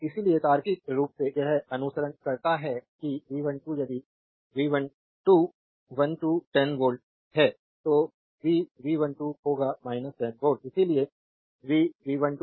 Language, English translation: Hindi, Therefore, logically it follows that just I told you that V 1 2 if V 1 2 is 10 volt then V 2 1 will be minus 10 volt therefore V 1 2 is equal to say minus V 2 1